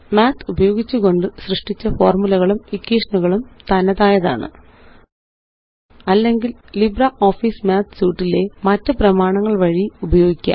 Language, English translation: Malayalam, The formulae and equations created using Math can stand alone Or it can be used in other documents in the LibreOffice Suite